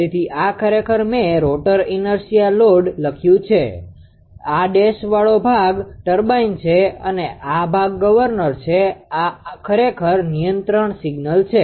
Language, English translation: Gujarati, So, this is actually I have written rotor inertia load right, this is this dashed portion is turbine and this portion is governor and this is u is your control signal actually